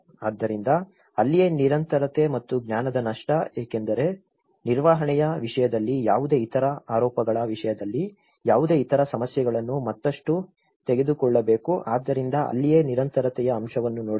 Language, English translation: Kannada, So, that is where the continuity and loss of knowledge because in terms of maintenance, in terms of any other allegations, any other issues to be taken further so that is where the continuity aspect has to be looked into it